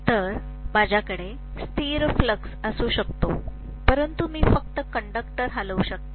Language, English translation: Marathi, So, I can have a constant flux but I can just move a conductor